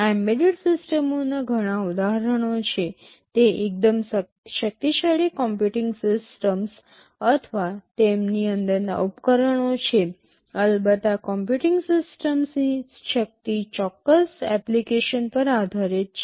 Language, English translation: Gujarati, These are all examples of embedded systems, they are fairly powerful computing systems or devices inside them of course, the power of these computing systems depend on the specific application